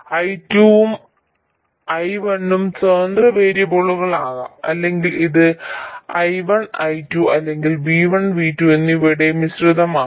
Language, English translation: Malayalam, I1 and I2 can be a mixture, I1 and V2 or V1 and I2